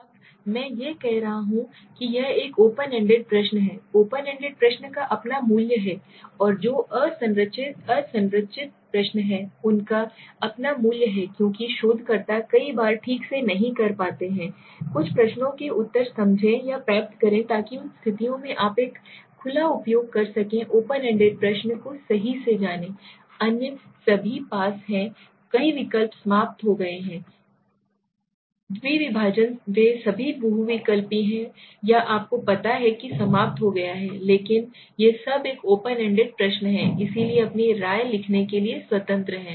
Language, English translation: Hindi, Now when I am saying this is an open ended question right, open ended question have their own value the unstructured questions and they have their own value because many a times in researchers we are not able to exactly understand or get answer to some of the questions so in those conditions we can use an open you know open ended question right, others are all close ended the multiple choice, dichotomous they all are multiple choice or you know close ended but these are all this is a open ended question, right